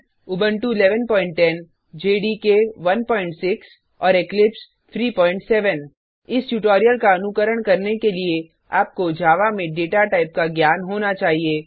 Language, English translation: Hindi, For this tutorial we are using Ubuntu 11.10, JDK 1.6 and Eclipse 3.7 To follow this tutorial you must have knowledge of data types in Java